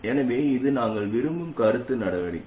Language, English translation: Tamil, So this is the feedback action that we want